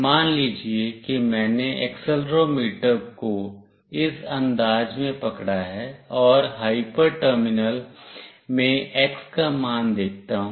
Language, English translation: Hindi, Let us say I have hold the accelerometer in this fashion and will come and see the value of x in the hyper terminal